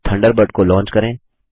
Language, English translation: Hindi, Lets launch Thunderbird